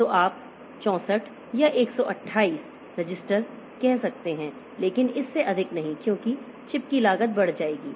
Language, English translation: Hindi, So, you can have say 64 or 128 registers but not more than that because the cost of the chip will be going up